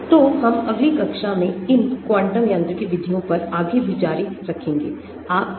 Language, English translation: Hindi, So, we will continue further on these quantum mechanics methods in the next class as well, thank you very much for your time